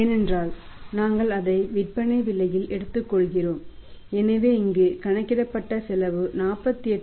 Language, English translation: Tamil, Because we are taking it at the selling price so the cost working out here is how much is the cost hear that is of 48